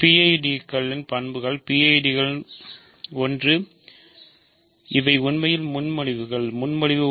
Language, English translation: Tamil, So, properties of PIDs properties of PIDs; one is that these are actually propositions, proposition